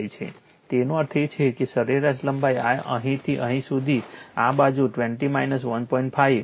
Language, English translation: Gujarati, 5; that means, mean length will be this side from here to here 20 minus 1